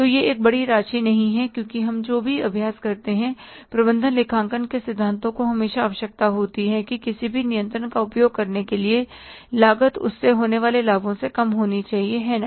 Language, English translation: Hindi, Because whatever the exercise we do, the principles of management accounting always require that cost of exercising any control must be less than the benefits arriving out of it